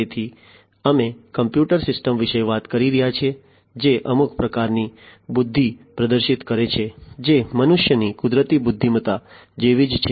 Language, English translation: Gujarati, So, we are talking about computer systems exhibiting some form of intelligence which is very similar to the natural intelligence of human beings, right